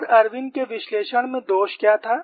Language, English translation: Hindi, And what was the defect of Irwin's analysis